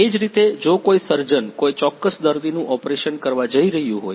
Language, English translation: Gujarati, Similarly, if a surgeon is going to operate on a particular patient